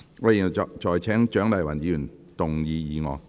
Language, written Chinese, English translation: Cantonese, 我現在請蔣麗芸議員動議議案。, I now call upon Dr CHIANG Lai - wan to move the motion